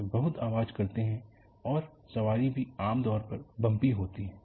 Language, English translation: Hindi, It is very noisy and the ride is also generally bumpy